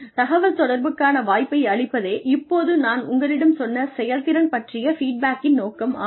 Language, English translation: Tamil, The purpose of feedback on performance, I told you, is to provide an opportunity for communication